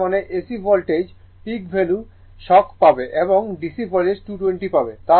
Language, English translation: Bengali, That means, in AC voltage you will get the peak value shock and DC voltage you will get 220